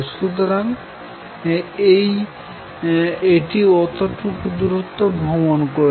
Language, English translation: Bengali, So, it has traveled that much